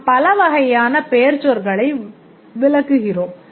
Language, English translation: Tamil, We exclude several types of noun